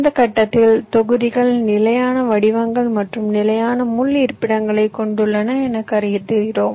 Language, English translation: Tamil, at this stage we assume that the modules has fixed shapes and fixed pin locations